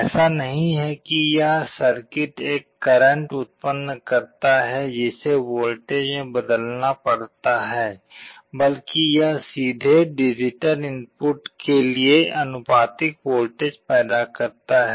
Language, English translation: Hindi, It is not that this circuit generates a current that has to be converted to a voltage; rather it directly produces a voltage proportional to the digital input